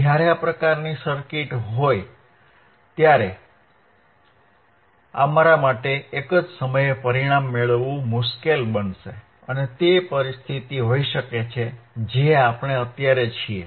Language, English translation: Gujarati, When this kind of circuit is there, it will be difficult for us to get the result in one go and it may be the condition which we are infinding right now which we are in right now right